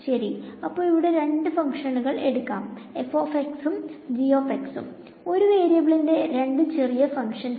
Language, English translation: Malayalam, So, let us take two functions over here f of x and g of x; two simple functions of one variable ok